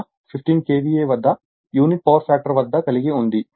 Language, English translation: Telugu, 98 at 15 KVA at unity power factor